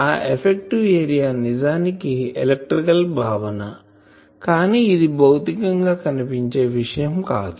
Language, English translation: Telugu, That effective area is actually an electrical, concept it is not a physical area thing